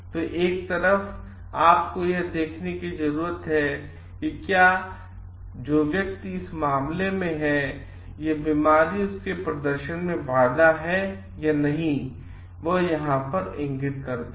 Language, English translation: Hindi, So, one side you need to see whether possessing this disease is going to hamper the performance of the person who is in point case point over here